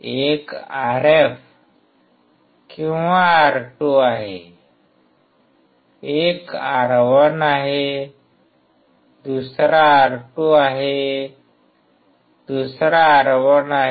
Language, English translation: Marathi, One is RF or R2, one is R1, another is R2, another is R1